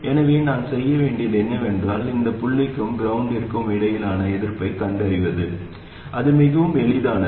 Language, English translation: Tamil, So what I have to do is to find the resistance between this point and ground and that's quite easy